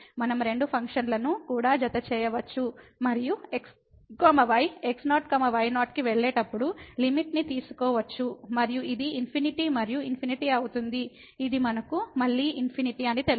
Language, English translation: Telugu, We can also add the two functions and take the limit as goes to and this will be infinity plus infinity which we know it is the infinity again